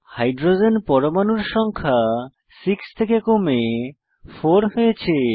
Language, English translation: Bengali, Number of Hydrogen atoms reduced from 6 to 4